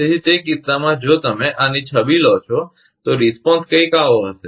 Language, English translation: Gujarati, So, in that case, if you take the image of this one, so, response will be something like this